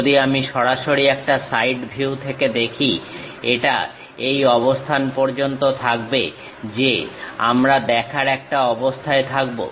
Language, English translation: Bengali, If I am straight away looking from side view, it will be up to this portion we will be in a position to see